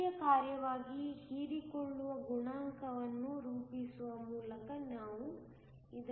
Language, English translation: Kannada, We can show this by plotting the absorption coefficient as a function of energy